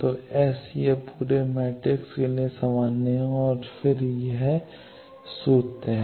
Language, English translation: Hindi, So, S is this is common for the whole matrix and then these formulas